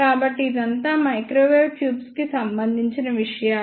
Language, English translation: Telugu, So, this is all about the microwave tubes